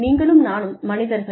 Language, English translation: Tamil, You and I are human beings